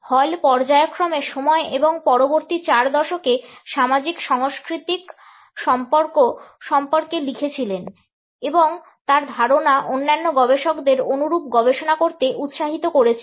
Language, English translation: Bengali, Hall was to write periodically about time and the socio cultural relations over the next four decades and his ideas have encouraged other researchers to take up similar studies